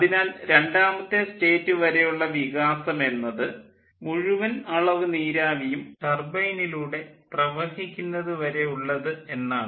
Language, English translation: Malayalam, we have considered so the expansion up to state two, up to which the entire amount of steam flows through the turbine